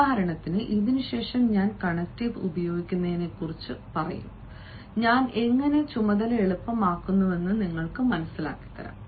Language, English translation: Malayalam, you see, after this i will be using connectives and you will realize how i am making the task easier